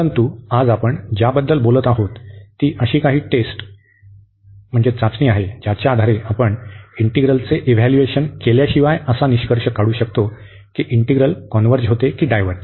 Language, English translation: Marathi, But today we will be talking about, some test based on which we can conclude that the integral converges or diverges without evaluating the integral